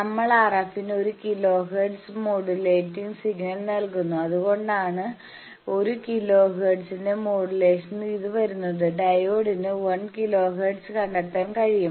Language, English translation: Malayalam, We give a one kilo hertz modulating signal to the RF, and that is why it comes in with a modulation of one kilo hertz the diode can detect that, that 1 kilo hertz and gives you the thing